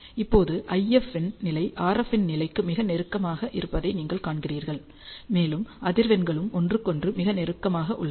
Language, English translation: Tamil, Now, if you see the level of IF is very close to that of RF, and the frequencies are also very close to each other